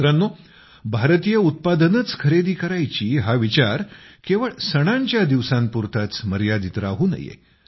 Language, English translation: Marathi, Friends, this sentiment towards Indian products should not be limited to festivals only